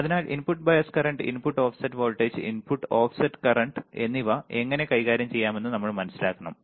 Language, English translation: Malayalam, So, we have to understand how we can deal with input bias current, input offset voltage, input offset current right